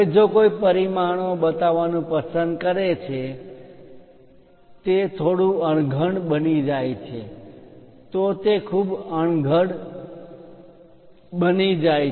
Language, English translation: Gujarati, Now, if someone would like to start showing the dimensions it becomes bit clumsy, it becomes very clumsy